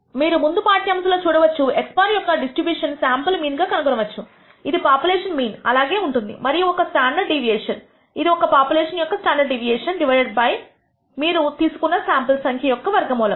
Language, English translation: Telugu, You can refer to the previous lecture to find out that the distribution of x bar the sample mean, is the same as the population mean and has a stan dard deviation which is one standard deviation of the population divided by the square root of the number of samples you have taken